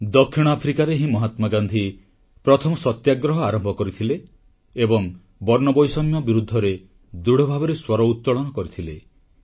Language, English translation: Odia, It was in South Africa, where Mahatma Gandhi had started his first Satyagraha and stood rock steady in protest of apartheid